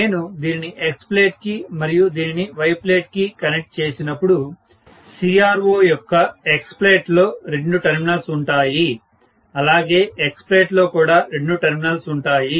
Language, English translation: Telugu, One word of caution in this experiment, when I connect this to H plate, and connect this to Y plate, please understand that the CRO will have in X plate, there will be two terminals, in Y plate also there will be two terminals